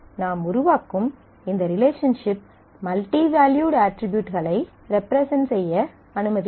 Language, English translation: Tamil, And I make use of this relation relationship that I create which allow me to represent this multi valued attribute